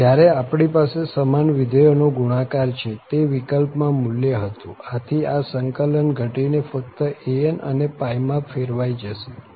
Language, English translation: Gujarati, So, when we have this product of the same function, the value was pi in that case, so this integral will reduced to just an and pi